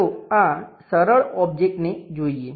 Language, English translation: Gujarati, Let us look at for this simple object